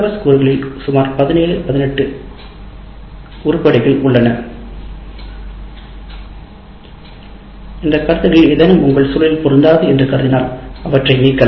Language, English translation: Tamil, Now as you can see, there are about 17, 18 items in this and if you consider any of these items are not relevant in your context or for your course, delete that